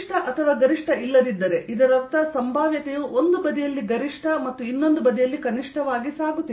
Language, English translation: Kannada, let's understand that if there is no minimum or maximum, that means the potential is going through a maxim on one side, a minimum from the other side